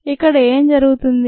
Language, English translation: Telugu, what is happening here